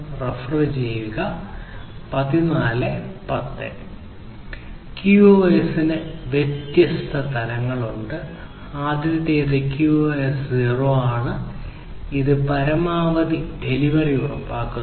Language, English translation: Malayalam, So, there are different levels of QoS; the first one is the QoS 0 which is about ensuring at most once delivery